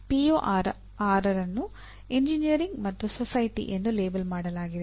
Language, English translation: Kannada, Now, PO6 is labeled as Engineer and Society